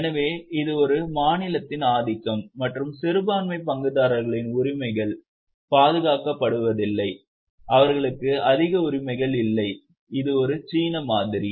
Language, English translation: Tamil, So, it's a dominance of a state and the minority shareholders' rights are not protected, they don't have much rights as such